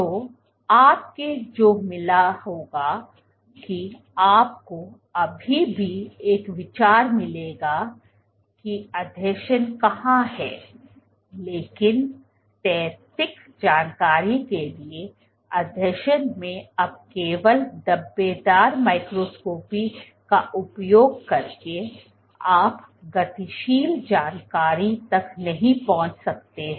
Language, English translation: Hindi, So, what you would have found was, you would still see get an idea of where the adhesions are, but not just that in adhesion to the static information now using speckle microscopy you have access to dynamic information